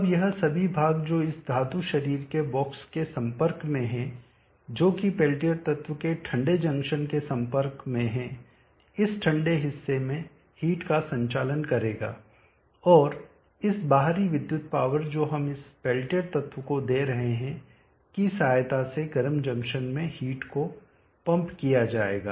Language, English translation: Hindi, Now all this portion which is in contact call this metal body of the box which is in contact with the cold junction of the peltier element will conduct the heat into this cold portion and the heat from the cold portion into the hot junction will be pumped by means of this electric power that we are giving to this peltier element